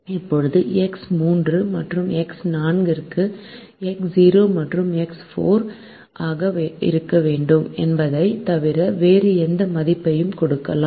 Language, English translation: Tamil, now we can give any value to x three and x four, except that we want x three and x four to be greater than or equal to zero